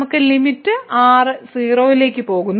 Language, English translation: Malayalam, So, we have limit goes to 0